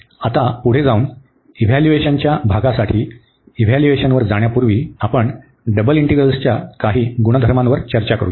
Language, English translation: Marathi, So, coming further now for the evaluation part, before we go to the evaluation let us discuss some properties of the double integrals